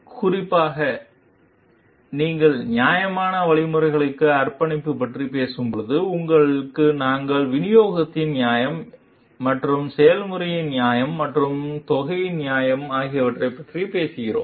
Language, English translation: Tamil, Specifically when you are talking of commitment to fairness means, here we are talking of fairness of distribution and fairness of the process, and its fairness of the amount also